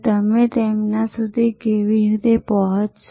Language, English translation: Gujarati, How will you reach them